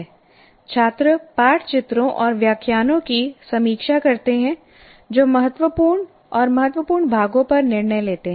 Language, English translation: Hindi, Students review texts, illustrations and lectures deciding which portions are critical and important